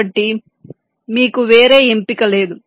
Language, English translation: Telugu, so you do not have any choice